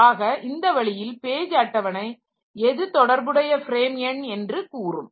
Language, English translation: Tamil, So, page table will give me the corresponding frame number